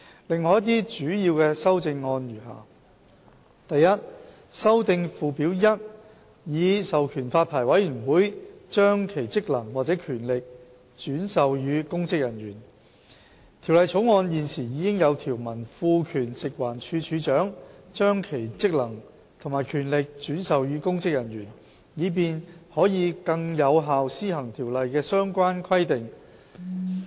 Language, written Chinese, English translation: Cantonese, 另外一些主要修正案如下： a 修訂附表 1， 以授權發牌委員會把其職能或權力轉授予公職人員《條例草案》現時已有條文賦權食物環境衞生署署長，把其職能及權力轉授予公職人員，以便可更有效施行條例的相關規定。, Other major amendments are as follows a To amend Schedule 1 to authorize the Licensing Board to delegate its functions or powers to a public officer The Bill currently contains a provision to empower the Director of Food and Environmental Hygiene to delegate his functions and powers to a public officer for better carrying out of the relevant provisions of the Ordinance